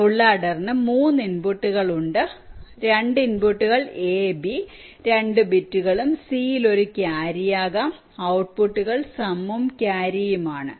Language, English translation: Malayalam, ah, full adder has three inputs: the two inputs a and b two bits and may be a carrion c, and the outputs are some and carry